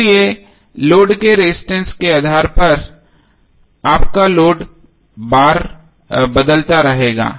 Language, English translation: Hindi, So based on the resistance of the load your load current will keep on changing